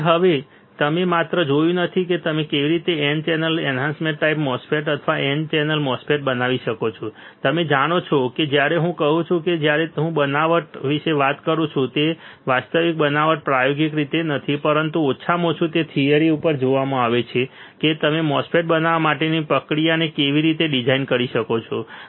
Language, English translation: Gujarati, So, now you have not only seen that how you can fabricate a n channel enhancement type MOSFET or n channel MOSFET you also know you also know when I says when I talk about fabrication, it is not actual fabrication not experimental way, but at least you are seen on theory that how you can design the process flow for fabricating a MOSFET